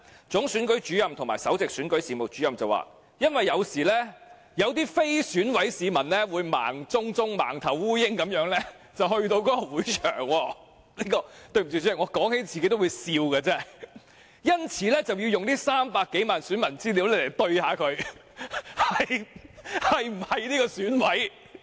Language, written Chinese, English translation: Cantonese, 總選舉事務主任及首席選舉事務主任表示，因為有時有些非選委的市民會像盲頭蒼蠅般到達會場——對不起，主席，我提起都發笑——因此要用300多萬名選民資料來核對他們是否選委。, The Chief Electoral Officer and the Principal Electoral Officer stated that as sometimes ill - informed citizens who are not members of the Election Committee EC might venture into the venue―Chairman excuse me this makes me laugh―hence the information of more than 3 million voters was necessary to verify if these citizens are members of the EC